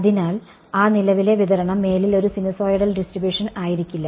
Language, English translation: Malayalam, So, that current distribution will no longer be a sinusoidal distribution